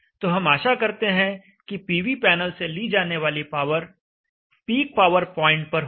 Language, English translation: Hindi, So we expect the power drawn from the PV panel to be at the peak power point